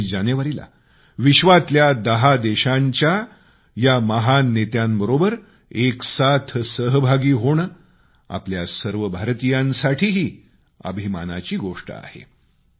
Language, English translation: Marathi, On 26th January the arrival of great leaders of 10 nations of the world as a unit is a matter of pride for all Indians